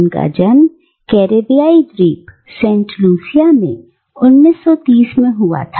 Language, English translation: Hindi, And he was born in the Caribbean island of Saint Lucia in 1930